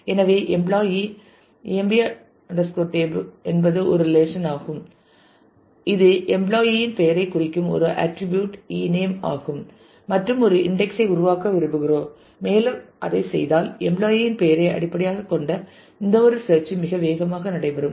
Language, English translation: Tamil, So, we are saying employee emp tab is a is a relation which has an attribute ename the employee name and we want to create an index on that if we do that then any search that is based on the employee name will become really fast